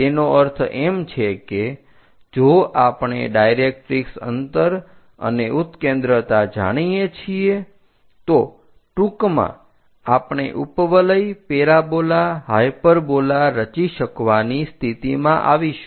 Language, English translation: Gujarati, That means if we know the directrix distance and eccentricity, in principle, we will be in a position to construct it can be ellipse, parabola, hyperbola